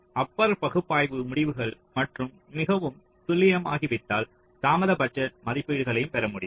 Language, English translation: Tamil, ok, so once the timing analysis results become more accurate, so only then you can get the delay budget estimates as well